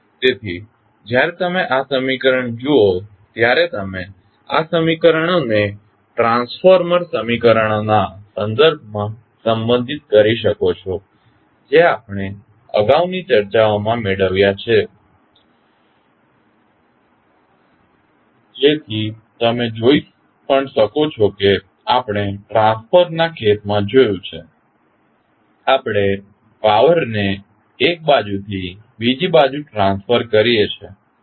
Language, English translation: Gujarati, So, when you see this equation, you can correlate these equations with respect to the transformer equations, which we derived in earlier discussions so you can also see that as we saw in case of transformer, we transfer the power from one side to other side, similarly the gear is the mechanical arrangement which transfers power from one side to other side